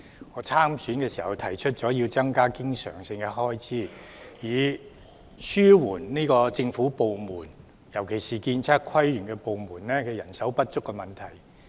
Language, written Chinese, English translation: Cantonese, 我參選時提出要增加經常性開支，以紓緩政府部門，特別是"建測規園"部門人手不足的問題。, When I stood for election I proposed to increase recurrent expenditure to ease the manpower shortage in government departments particularly the departments related to architecture surveying landscape architecture and planning